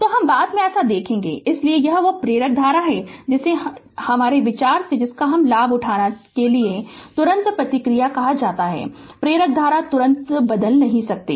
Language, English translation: Hindi, So, we will see later so but this is that inductor current your what you call as the response in order to take advantage of the idea that, the inductor current cannot change instantaneously right